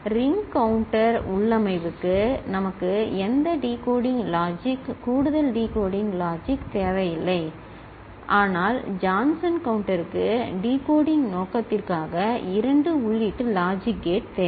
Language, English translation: Tamil, And for ring counter configuration we do not need any decoding logic, extra decoding logic, but for Johnson counter we need 2 input logic gate for decoding purpose